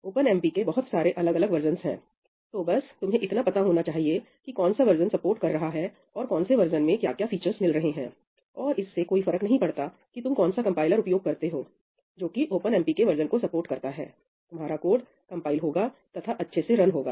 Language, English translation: Hindi, So, you just have to be aware of which version is being supported and what are the features being provided by that version; and no matter which compiler you use which supports that version of OpenMP, your code will compile and run properly